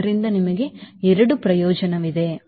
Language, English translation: Kannada, so you have double advantage